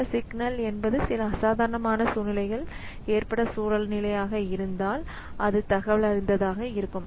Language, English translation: Tamil, So, if some signal is a situation where some abnormal situation has occurred and that is informed